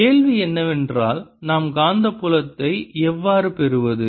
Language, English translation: Tamil, the question is, how do we get the magnetic field